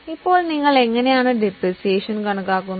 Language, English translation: Malayalam, Now, how do you compute depreciation